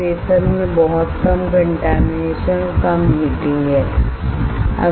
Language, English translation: Hindi, There is very less contamination and less heating to the wafer